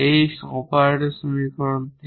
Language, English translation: Bengali, This is from just from the operator equation